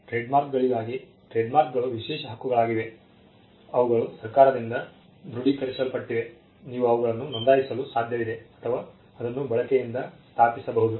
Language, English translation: Kannada, For trademarks, trademarks are exclusive rights, they are confirmed by the government it is possible for you to register them, or it is established by use